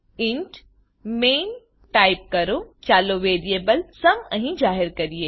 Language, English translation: Gujarati, Type int main() Let us declare a variable sum here